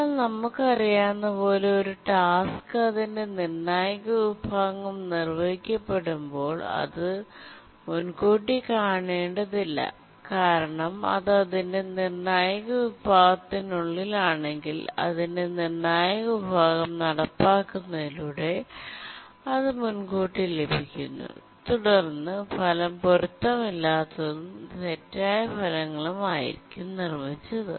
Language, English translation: Malayalam, But then we know that when a task is executing its critical section, it should not be preempted because if it is inside its critical section, so executing its critical section and it gets preempted, then the result will become inconsistent, wrong results